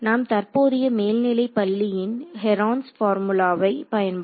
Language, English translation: Tamil, So, we can use whatever recent high school Heron’s formula whatever it is right